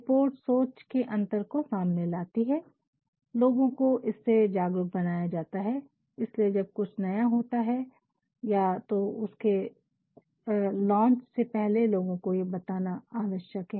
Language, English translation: Hindi, Reports also reveal gaps in thinking and through reports people are made aware, that is why, when something new is to take place either before the launching of it, it is mandatory to tell people